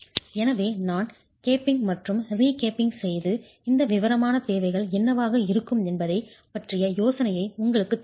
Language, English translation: Tamil, So I'm just capping and recapping and then giving you an idea of what these detailing requirements would be